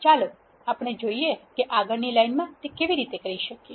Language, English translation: Gujarati, Let us see how we can do that in the next line